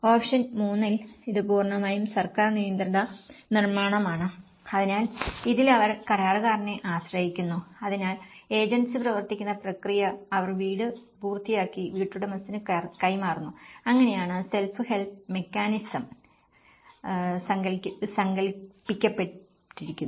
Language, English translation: Malayalam, Whereas in option 3, it is completely a government managed construction so, in this, they rely on the contractor, so agency driven process and they finish the house and they deliver it to the homeowner so, this is how the self house mechanism has been conceptualized